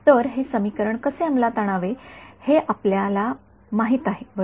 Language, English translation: Marathi, So, we already, so we know how to implement this equation right